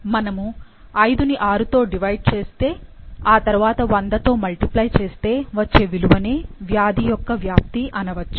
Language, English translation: Telugu, If you divide 5 by 6 and multiply it by 100, then this is the penetrance for the disease